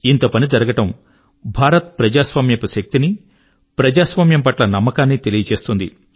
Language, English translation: Telugu, So much accomplishment, in itself shows the strength of Indian democracy and the faith in democracy